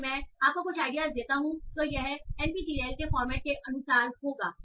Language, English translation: Hindi, So if I give you some idea, so this will be as for the format of NPTEL